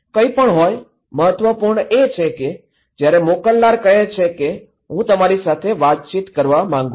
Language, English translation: Gujarati, Anyways, the important is that when the sender wants to say that okay I want to communicate with you